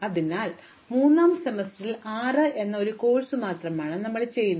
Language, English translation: Malayalam, So, in the third semester I am struck with doing only one course namely 6